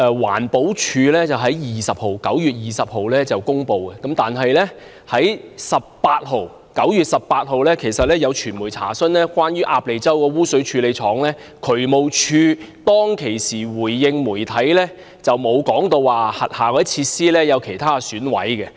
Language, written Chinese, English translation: Cantonese, 環保署在9月20日公布，但其實9月18日已有傳媒查詢關於鴨脷洲污水處理廠的情況，當時渠務署回應媒體沒有提過轄下其他設施有損毀。, The Environmental Protection Department EPD made the announcement on 20 September but actually the media had made an enquiry about the Ap Lei Chau Preliminary Treatment Works on 18 September . At that time no damage of facilities was mentioned in DSDs response to the media